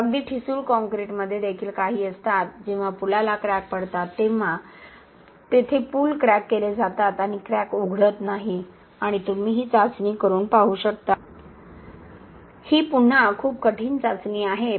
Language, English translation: Marathi, So even a very brittle concrete with has some fibres, when the crack opens the cracks bridge, the cracks are bridged by the fibres and the crack does not open and that is what you can see by doing this test, this is very difficult test again but it is possible